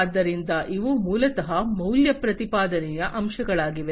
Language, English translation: Kannada, So, these are basically the value proposition aspects